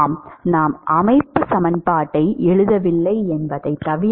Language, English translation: Tamil, Yes it does except that we have not written the constitutive equation